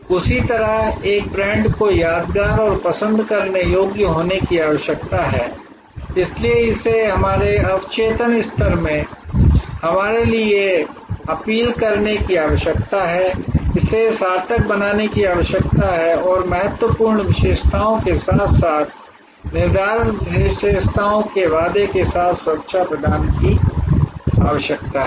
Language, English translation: Hindi, In the same way a brand needs to be memorable and likeable therefore, it needs to appeal to our in our subconscious level it needs to be meaningful it needs to be to offer security with the promise of important attributes as well as determinant attributes